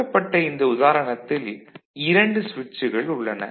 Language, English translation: Tamil, So, this is an example, where you see, there are 2 switches